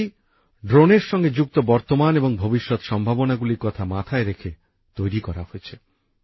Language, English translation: Bengali, This policy has been formulated according to the present and future prospects related to drones